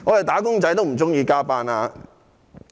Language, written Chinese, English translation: Cantonese, "打工仔"也不喜歡加班。, Wage earners do not like to work overtime